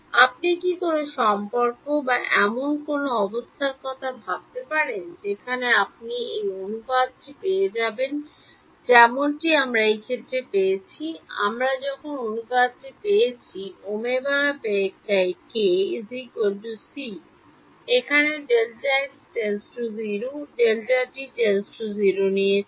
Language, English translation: Bengali, Can you think of a relation or a condition where you will get the ratio that like we got in this case, we got the ratio that omega by k is equal to c over here when I took delta x delta t tending to 0